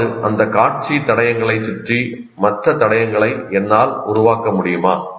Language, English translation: Tamil, That means, can I create some kind of other clues around that, visual clues